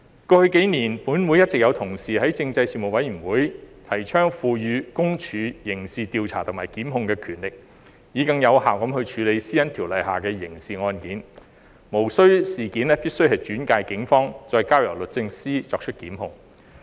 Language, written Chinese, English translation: Cantonese, 過去幾年，本會一直有同事在政制事務委員會提倡賦予私隱公署刑事調查和檢控的權力，以更有效地處理《私隱條例》下的刑事案件，無須必定將事件轉介予警方，再交由律政司作出檢控。, Over the past few years some colleagues of this Council have been advocating in the Panel on Constitutional Affairs that PCPD should be given criminal investigation and prosecution powers so as to more effectively handle criminal cases under PDPO without necessarily referring the cases to the Police and further to the Department of Justice for prosecution